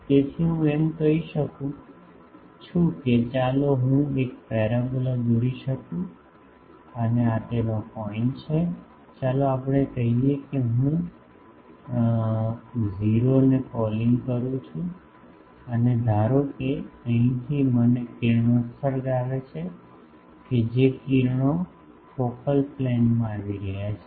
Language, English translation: Gujarati, So, I can say that let me draw a parabola and this is its point, let us say the focus I am calling O and the suppose I have an incident ray from here that ray is coming to the focal plane